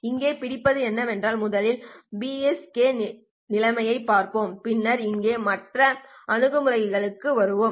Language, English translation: Tamil, The catch here is that let us look at first the BPSK situation and then come back to the other approach over here